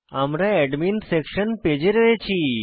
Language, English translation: Bengali, We can see that we come to the Admin Section Page